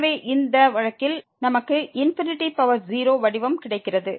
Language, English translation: Tamil, So, in this case we have the 0 by 0 form